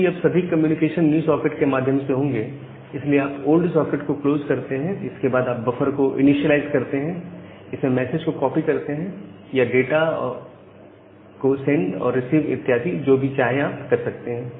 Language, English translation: Hindi, So, you close the old socket since all communication will be through the new socket and then you initialize the buffer, copy the message to it, send or do the receipt whatever you want to do